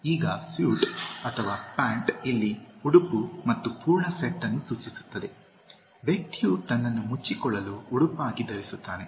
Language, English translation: Kannada, Now suit or pants here, refers to the garment and the full set, that the person has been wearing as a dress to cover himself